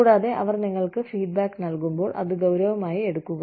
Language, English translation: Malayalam, And, when they give you feedback, please take it seriously